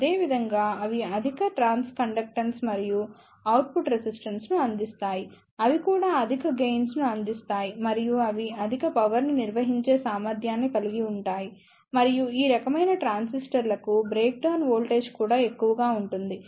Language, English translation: Telugu, Similarly, they provide high trans conductance and output resistance, they also provide higher gain and they have high power handling capability and the breakdown voltages also high for these type of transistors